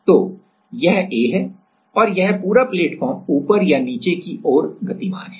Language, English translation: Hindi, So, this is A, this is A and this whole platform is moving this whole platform is moving upward or downward